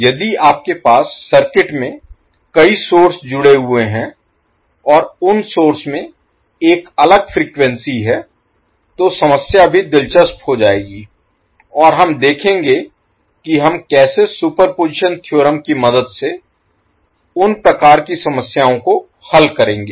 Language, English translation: Hindi, So, if you have multiple sources connected in the circuit and those sources are having a different frequencies, then the problem will also become interesting and we will see how we will solve those kind of problems with the help of superposition theorem